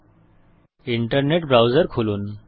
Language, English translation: Bengali, Open your internet browser